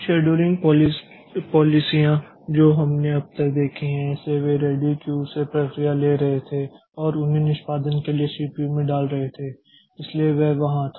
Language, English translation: Hindi, The scheduling policy that we have seen so far so they were they were taking processes from the ready queue and putting them onto the CPU for execution